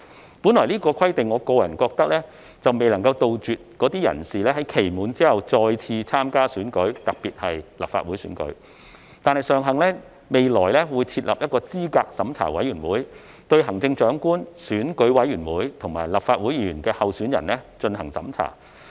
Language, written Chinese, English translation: Cantonese, 我本來覺得這項規定未能杜絕該等人士在期滿後再次參加選舉，特別是立法會選舉，但尚幸未來會設立候選人資格審查委員會，對行政長官、選舉委員會及立法會議員候選人進行審查。, At first I was worried that this requirement might not be able to stop the disqualified persons from standing for the elections again especially the Legislative Council election after the five - year period . Fortunately the Candidate Eligibility Review Committee to be established will assess the eligibility of candidates for the Chief Executive the Election Committee Members and the Legislative Council Members